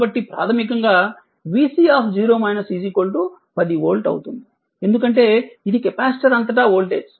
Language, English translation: Telugu, So, basically your v c 0 minus will be is equal to 10 volt, because, this is the voltage across the capacitor